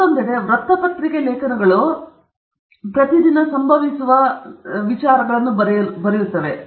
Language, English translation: Kannada, Newspaper articles, on the other hand, are written on day to day events that occur